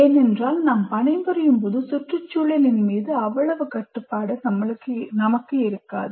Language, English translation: Tamil, Because when we are working, we may not have that much control over the environment